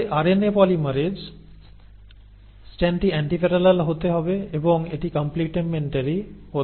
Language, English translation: Bengali, But the RNA polymerase, the strand has to be antiparallel, and it has to be complementary